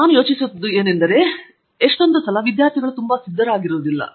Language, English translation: Kannada, I think this is something it shows that the student is not very prepared I think